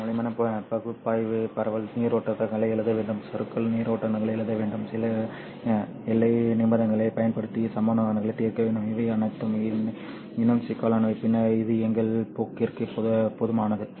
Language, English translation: Tamil, A thorough analysis of all this requires us to write down the diffusion currents, requires us to write down the drift currents, solve the equations using certain boundary conditions, which is all, in my opinion, a little more complicated than that is sufficient for our course